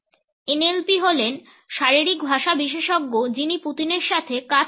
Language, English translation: Bengali, NLP is the body language expert who is worked with Putin